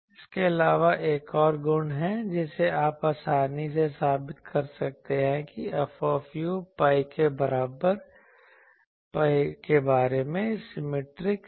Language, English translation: Hindi, Also there is another property that you can easily prove that F u is symmetric about pi